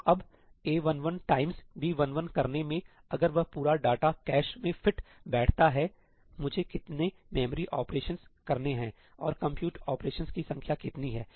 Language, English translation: Hindi, So, now, in doing A11 times B11, if that entire data fits into the cache, what is the number of memory operations I have to perform and what is the number of compute operations